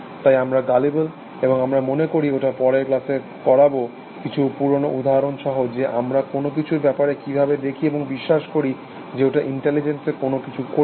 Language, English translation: Bengali, So, we are gullible, and I think we will take it up, in the next class, with some even older examples of how, we look at something, and we believe that it is doing something in the intelligence for us essentially